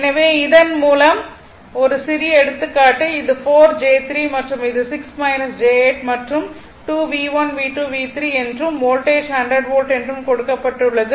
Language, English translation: Tamil, So, with this one we we we will take one small example suppose it is 4 j 3 and this is 6 minus j 8 and 2 V1 V2 V3 and voltage is 100 volt is given right and this is V1 V2 V3